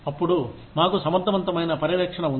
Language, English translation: Telugu, Then, we have effective supervision